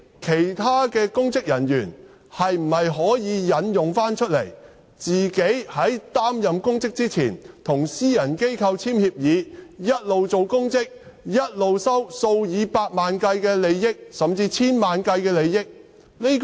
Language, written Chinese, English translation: Cantonese, 其他公職人員可否引用這4項條件，即他們如在擔任公職前與私人機構簽訂協議，便可一邊出任公職，一邊收取數以百萬計，甚至數以千萬計的利益？, Can other public officers also invoke these four conditions? . I mean can they receive millions or tens of millions of dollars while holding office under an agreement with a private organization entered into before they took office?